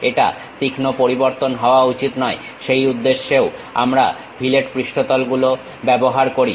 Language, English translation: Bengali, It should not be sharp variation, for that purpose also we use fillet surfaces